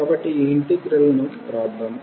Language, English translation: Telugu, So, let us write down this integral